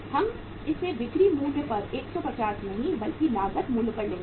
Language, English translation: Hindi, We will take it as 150 not that at the selling price but at the cost price